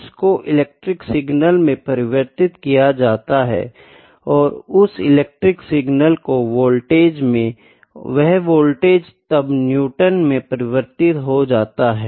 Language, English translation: Hindi, The force is converted into electrical signal, and that an electrical signal is electrical signals in the voltage, that voltage is then converted into Newton’s